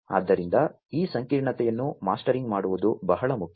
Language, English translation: Kannada, So, mastering this complexity is very important